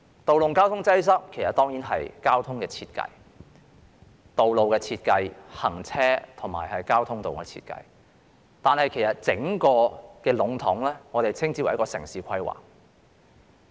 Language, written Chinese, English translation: Cantonese, 道路交通擠塞當然關乎交通、道路、行車的設計，但其實整體稱之為城市規劃。, Road traffic congestion is certainly related to the design of transport roads and flow of vehicles but this can be generally referred to as urban planning